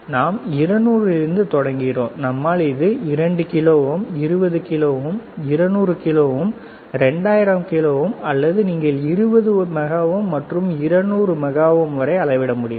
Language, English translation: Tamil, We start from 200, we go to 2 kilo ohm 20 kilo ohm 200 kilo ohm 2000 kilo ohm or you can say 20 mega ohm and 200 mega ohm, until 200 mega ohm it can measure, right